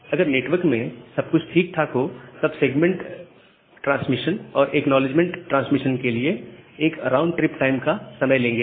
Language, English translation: Hindi, So, ideally if everything is good in the network, then this segment transmission and the acknowledgement transmission it will take one round trip time